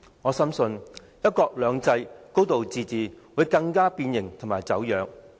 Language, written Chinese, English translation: Cantonese, 我深信，"一國兩制"、"高度自治"會更加變形和走樣。, I deeply believe that one country two systems and a high degree of autonomy will further distort and deform